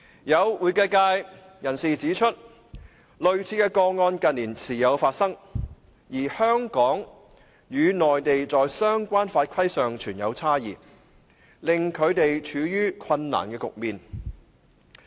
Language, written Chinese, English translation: Cantonese, 有會計界人士指出，類似的個案近年時有發生，而香港與內地在相關法規上存有差異，令他們處於困難的局面。, Some members of the accounting sector have pointed out that similar cases have occurred from time to time in recent years and the differences between Hong Kong and the Mainland in the relevant laws and regulations have put them in a difficult situation